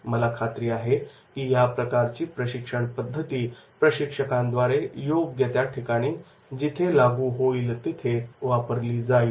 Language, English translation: Marathi, I am sure that is this type of the methods that will be used by the trainers wherever it is possible and applicable